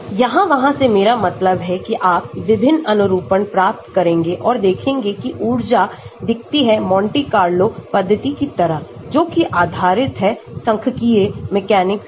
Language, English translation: Hindi, I mean here there means you get different conformations and see how the energy looks like Monte Carlo method based on statistical mechanics